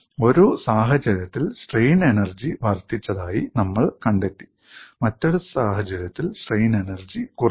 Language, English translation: Malayalam, In one case, we found strain energy increased, in another case, strain energy decreased